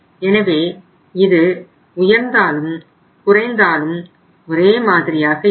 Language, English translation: Tamil, So whether it has gone up or it has gone down or it has remained the same